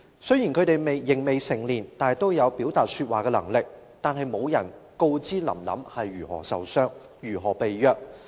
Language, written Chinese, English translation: Cantonese, 雖然他們仍未成年，但都有說話和表達的能力，卻沒有人說出"林林"是如何受傷、如何被虐。, Though not yet grown up they all have the ability to speak and express themselves . But no one spoke out about how Lam Lam was injured and abused